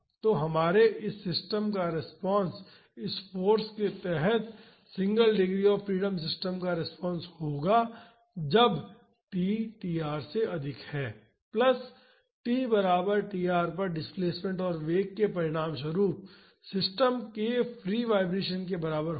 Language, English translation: Hindi, So, our response of this system of the single degree of freedom system under this force when t greater than tr will be this response plus free vibration of the system resulting from displacement and velocity at t is equal to tr